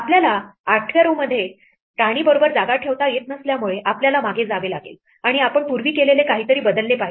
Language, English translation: Marathi, Since we cannot put a place with queen in the 8th row we have to go back and change something we did before now